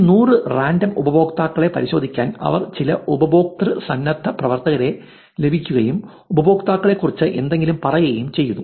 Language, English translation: Malayalam, They manually checked 100 random users of 235, but volunteers of course, they got some user volunteers to verify whether to look at these 100 random users and said something about the users